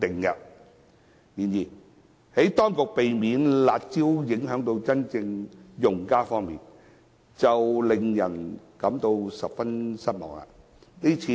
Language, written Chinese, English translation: Cantonese, 然而，在避免"辣招"影響真正用家方面，當局的做法令人感到十分失望。, However from the perspective of avoiding the curb measure from affecting genuine users the measures taken by the Administration are very disappointing